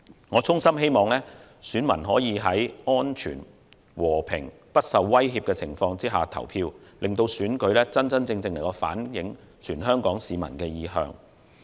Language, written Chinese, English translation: Cantonese, 我衷心希望選民可在安全、和平、不受威脅的情況下投票，令選舉真正反映全港市民的意向。, I sincerely hope that all voters will be able to cast their votes safely peacefully and free from threat so that the election results can truly reflect the aspirations of all Hong Kong people